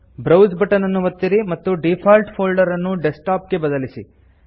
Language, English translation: Kannada, Click the Browse button and change the default folder to Desktop